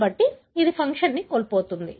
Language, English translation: Telugu, So, that is a loss of function